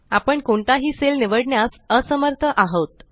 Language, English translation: Marathi, We are not able to select any cell